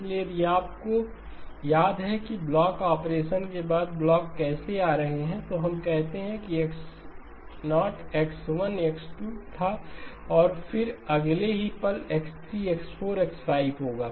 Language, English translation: Hindi, So if you remember how were the blocks coming in after the blocking operation, we say that it was X0, X1, X2 and then the next instant of time it will be X3, X4, X5